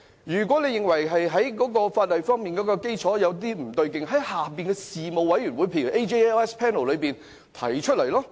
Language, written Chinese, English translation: Cantonese, 如果認為法例基礎方面有不足之處，應在事務委員會，例如司法及法律事務委員會內提出。, If they find that there are deficiencies in the legislation they should refer the issue to for example the Panel on Administration of Justice and Legal Services